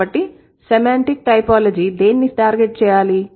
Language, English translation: Telugu, So, semantic typology should target what